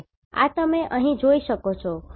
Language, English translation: Gujarati, So, this you can see here